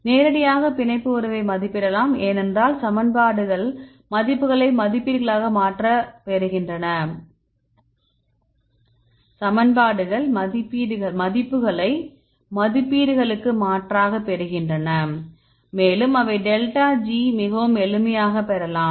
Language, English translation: Tamil, And we can also estimate directly we can estimate the binding affinity, because we have the equation get the values substitute the values and they can get delta G very simple right